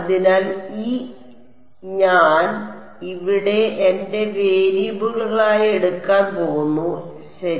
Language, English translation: Malayalam, So, E I am going to take as my variable over here so, U of U at y hat fine